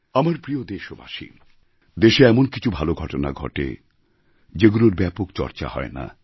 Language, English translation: Bengali, My dear countrymen, there are many good events happening in the country, which are not widely discussed